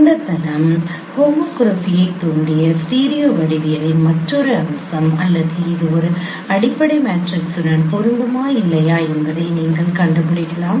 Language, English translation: Tamil, Another feature of the studio geometry that this plane induced homography or you can find out whether it is compatible to a fundamental matrix or not